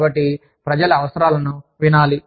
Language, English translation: Telugu, So, people's needs may be heard